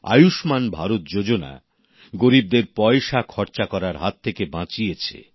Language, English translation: Bengali, The 'Ayushman Bharat' scheme has saved spending this huge amount of money belonging to the poor